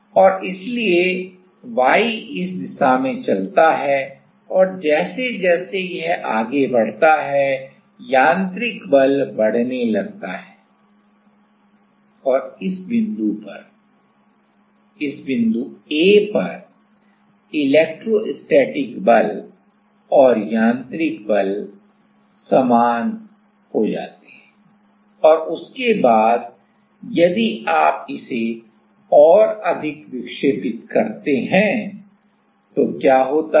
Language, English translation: Hindi, And so, y moves in this direction and as it move then the mechanical force start increasing and at this point A, electrostatic force and the mechanical force is same right and after that if you it deflects more, then what happens